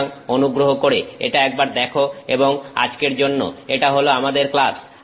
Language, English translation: Bengali, So, please take a look at it and that is our class for today